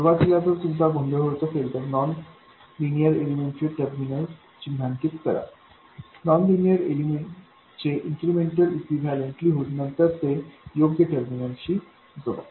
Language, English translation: Marathi, Initially if you are getting confused, you just mark the terminals of the nonlinear elements, write down the incremental equivalent of the nonlinear element and then connected to the appropriate terminals